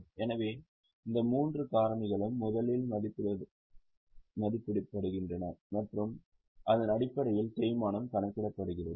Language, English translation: Tamil, So, these three factors are first estimated and based on that the depreciation is calculated